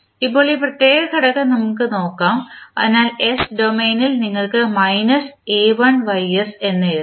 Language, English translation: Malayalam, Now, let us see this particular component so in s domain you can write as minus a1ys